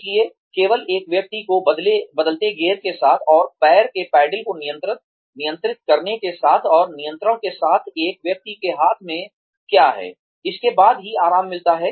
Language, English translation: Hindi, So, only after a person gets comfortable with changing gears, and with controlling the foot pedals, and with controlling, what is in a person's hand